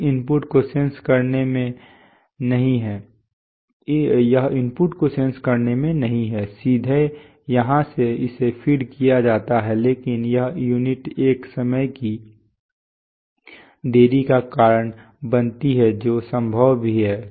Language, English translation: Hindi, It is not in sensing the input, directly from here it is fed but this unit causes a time delay that is also possible